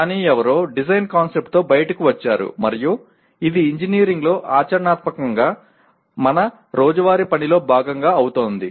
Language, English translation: Telugu, But somebody has come out with design concept and it becomes part of our day to day work practically in engineering